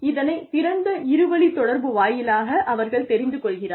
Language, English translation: Tamil, They know through, open two way communication